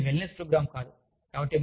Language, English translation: Telugu, But, this is not a wellness program